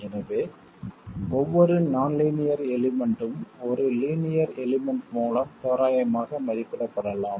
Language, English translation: Tamil, So, every nonlinear element can be approximated by a linear element